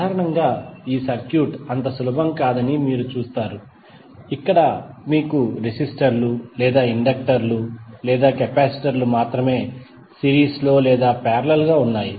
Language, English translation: Telugu, Generally, you might have seen that the circuit is not so simple, where you have only have the resistors or inductors or capacitors in series or in parallel